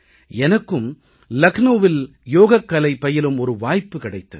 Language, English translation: Tamil, I too had the opportunity to participate in the Yoga event held in Lucknow